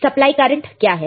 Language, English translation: Hindi, What is the supply current